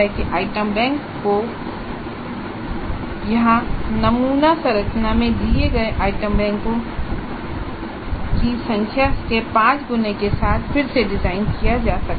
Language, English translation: Hindi, So item banks can be designed again with 5 times the number of items as given in the sample structure here